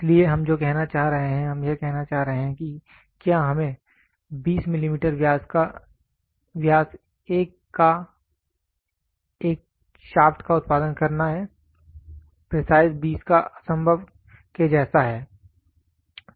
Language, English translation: Hindi, So, what we are trying to says we are trying to say if we have to produce a diameter of shaft 20 millimeter exact precise 20 is next to impossible